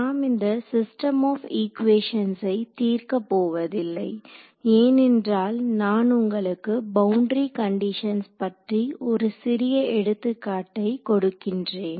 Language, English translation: Tamil, So, in right now we would not go into actually solving the system of equations, because I want to tell you a little bit give you give you an example of a boundary condition